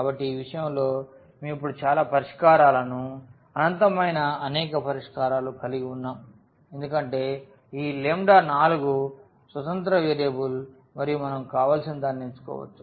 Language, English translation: Telugu, So, in this case we have now the so many solutions infinitely many solutions because this lambda 4 is a free variable and we can choose anything we want